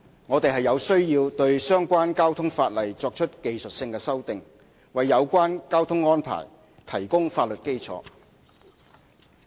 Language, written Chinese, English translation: Cantonese, 我們有需要對相關交通法例作出技術性修訂，為有關交通安排提供法律基礎。, Technical amendments to the relevant transport - related legislation are necessary to provide a legal basis for such traffic arrangements